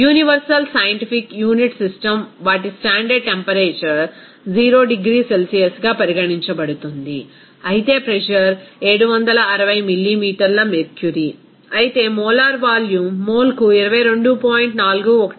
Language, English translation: Telugu, Universal scientific unit system their standard temperature is considered as 0 degree Celsius, whereas pressure is 760 millimeter mercury, whereas molar volume will be 22